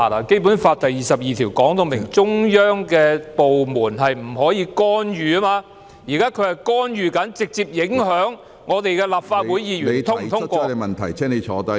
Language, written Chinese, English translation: Cantonese, 《基本法》第二十二條訂明，中央的部門不得干預香港特區的事務，現在它正在干預香港特區的事務，直接影響立法會議員是否通過......, As stipulated in Article 22 of the Basic Law no department of the Central Peoples Government may interfere in the affairs of the HKSAR . And now it is interfering in the affairs of the HKSAR directly affecting Legislative Council Members in their voting of